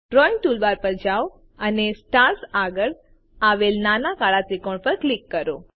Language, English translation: Gujarati, Go to the Drawing toolbar and click on the small black triangle next to Stars